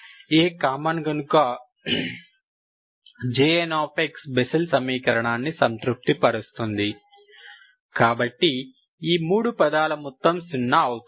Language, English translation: Telugu, So because A is common, J and, J and of x is satisfying the Bessel equation, so these, sum of these 3 terms is zero, Ok